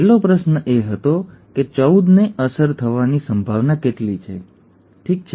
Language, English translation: Gujarati, The last question was that what is the probability that 14 is affected, okay